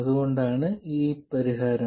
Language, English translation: Malayalam, So, this is the solution